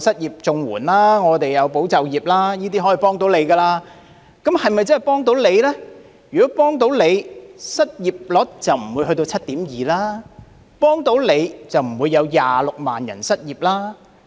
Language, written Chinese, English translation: Cantonese, 如果可以"幫到你"，失業率就不會上升到 7.2% 了，如果真的"幫到你"，就不會有26萬人失業了。, Had these measures been helpful the unemployment rate would not have surged up to 7.2 % . Had these measures been truly helpful the 260 000 people would not have become unemployed